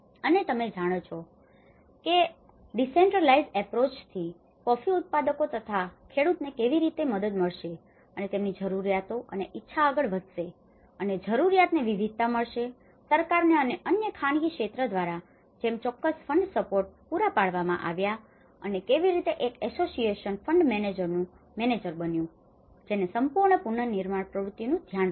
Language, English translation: Gujarati, And also giving a variety of to the farmers needs and you know how the decentralized approach will have helped the coffee growers and to come up with their needs and wants and certain fund supports have been provided by the government and as other private sectors and how the association become a manager of fund manager in the controlling authority to look after the whole reconstruction activity